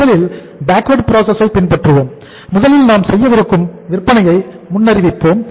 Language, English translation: Tamil, We first follow the backward process that first we forecast the sales we are going to make